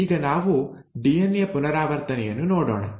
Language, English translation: Kannada, Now, let us look at the DNA replication itself